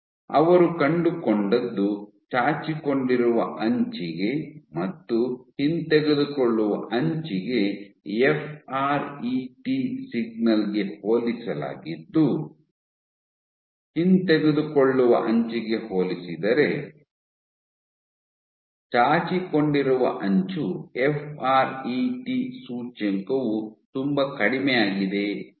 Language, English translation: Kannada, What they found was compared to the protruding edge and the retraction edge when they com compared the FRET signal they found that the protruding edge the fret index was lot less compared to the retraction edge